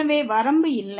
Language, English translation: Tamil, And therefore, the limit does not exist